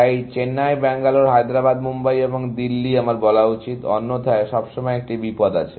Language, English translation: Bengali, So, Chennai, Bangalore, Hyderabad, Mumbai; I should say, otherwise, there is always a danger; and Delhi